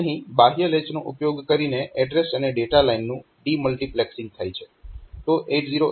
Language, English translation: Gujarati, So, for de multiplexing address and data lines using external latches